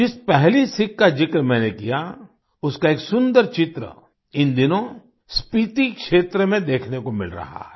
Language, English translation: Hindi, The first lesson that I mentioned, a beautiful picture of it is being seen in the Spiti region these days